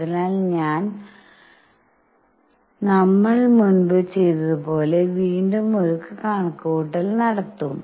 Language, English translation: Malayalam, So, again we will do a calculation like what we did earlier